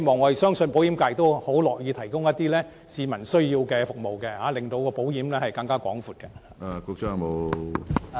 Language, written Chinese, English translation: Cantonese, 我相信保險業界很樂意提供一些市民需要的服務，令保險服務更為全面。, I believe that the insurance sector is willing to provide the services needed by the public making their service more comprehensive